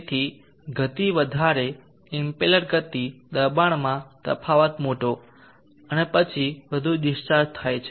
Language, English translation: Gujarati, So higher the speed impellers speed larger be pressure difference and then one of the discharge